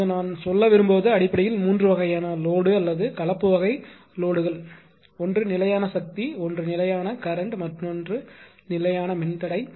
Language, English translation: Tamil, Now what I want to tell that basically ah there are 3 types of load or composite type of loads that are available, one is constant power, one is constant current another is constant impedance